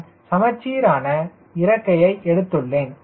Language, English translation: Tamil, ok, i am taking a symmetric wing